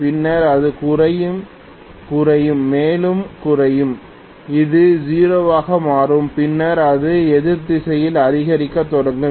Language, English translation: Tamil, Then it is going to decrease, decrease and decrease further and it will become 0, then it will start increasing in the opposite direction